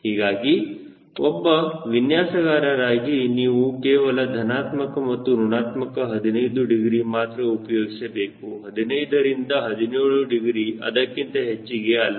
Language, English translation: Kannada, so as a designer you use only plus minus fifteen degrees, fifteen to seventeen degrees, not more than that